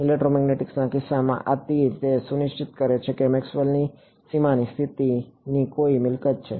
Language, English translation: Gujarati, In the electromagnetics case this arrow, it is ensuring which property of Maxwell’s boundary conditions